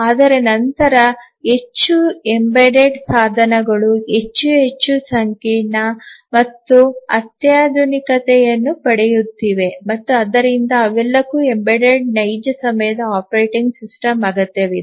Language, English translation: Kannada, But then many of the embedded devices are getting more and more complex and sophisticated and all of them they need a embedded real time operating system